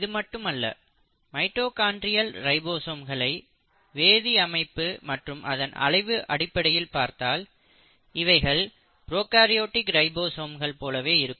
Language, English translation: Tamil, Not just that if you are to look at the mitochondrial ribosomes you find in terms of the chemical structure, in terms of their size they are very similar to prokaryotic ribosomes